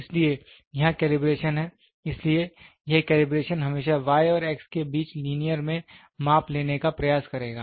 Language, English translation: Hindi, So, here is the calibration so, this calibration will always try to take measurements in the linear between y and x